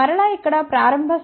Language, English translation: Telugu, And again here starting point is g 1, g 2, g 3